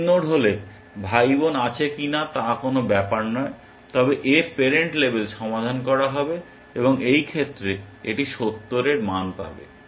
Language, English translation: Bengali, If min node, it does not matter whether there are siblings or not, but its parent will get label solved, and it will get a value of 70 in this case